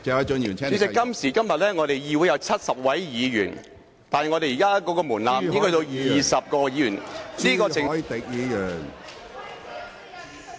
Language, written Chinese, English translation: Cantonese, 主席，今時今日議會有70位議員，但現時的門檻只需要20位議員......, President now there are 70 Members in the Legislative Council but the current threshold requires only 20 Members